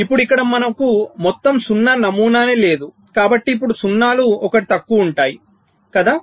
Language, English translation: Telugu, now here we do not have the all zero pattern, so now zeros will be one less, right